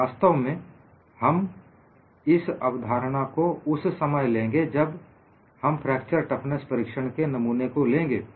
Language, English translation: Hindi, In fact, we would borrow this concept when we look at a specimen for fracture toughness test